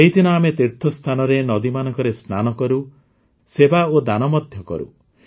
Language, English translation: Odia, On this day, at places of piligrimages, we bathe and perform service and charity